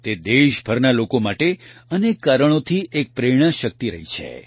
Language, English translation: Gujarati, She has been an inspiring force for people across the country for many reasons